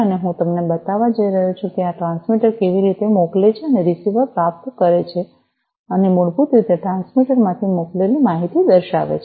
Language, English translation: Gujarati, And I am going to show you how this transmitter sends and the receiver receives and basically shows the sent information from the transmitter